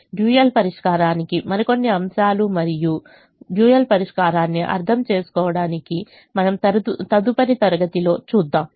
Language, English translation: Telugu, some more aspects of solving the dual and understanding the dual solution we will see in the next class